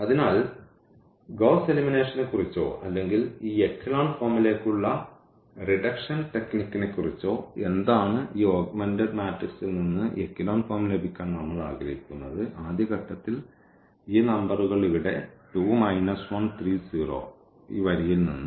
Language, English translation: Malayalam, So, what is the idea of this Gauss elimination or the reduction technique to this echelon form we want to have echelon form out of this augmented matrix and the first step is to make these numbers here 2 minus 1 3, 0 out of this row 1